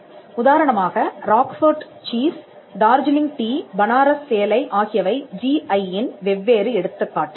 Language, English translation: Tamil, For instance, Roquefort cheese, Darjeeling tea, Banaras saree are different examples of the GI